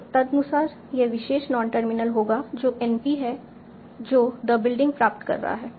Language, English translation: Hindi, So accordingly this will be your purpose non terminal that is empty p that is deriving the building